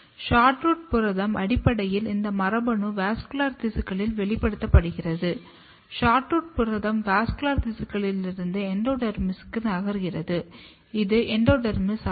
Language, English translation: Tamil, And what happens that SHORTROOT protein basically this gene is expressed in the vascular tissues and then protein; SHORTROOT protein moves from vascular tissue to the endodermis, this is endodermis